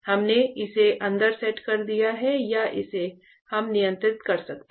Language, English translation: Hindi, So, we have set it inside or it can why we can control it